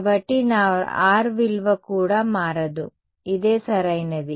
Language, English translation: Telugu, So, even my value of R does not change is this the same right